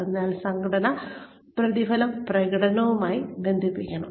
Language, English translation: Malayalam, So, the organizational rewards should be tied with the performance